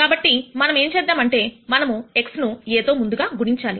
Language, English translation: Telugu, So, what we are going to do is we are going to pre multiply this x by A